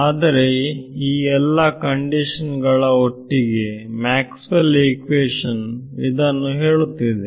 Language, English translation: Kannada, But under these conditions this is what Maxwell’s equation is telling us